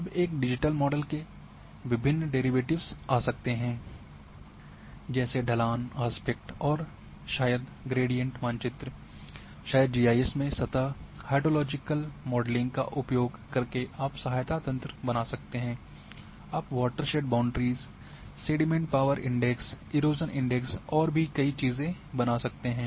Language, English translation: Hindi, Now there are various derivatives of a digital models can come like, slope, aspect and maybe gradient map, maybe using surface hydrologic modeling in GIS you can create aid network, you can create water set boundaries, you can create the sediment power index erosion index and many, many things